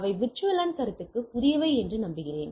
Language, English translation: Tamil, So, hope those are new to the VLAN concept and get it